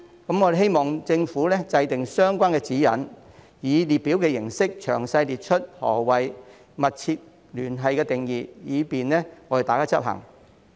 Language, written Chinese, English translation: Cantonese, 我們希望政府制訂相關指引，以列表形式詳細列出"密切聯繫"的定義，以便大家執行。, We hope that the Government will formulate relevant guidelines to set out the definition of substantial connection in detail in a table so as to facilitate implementation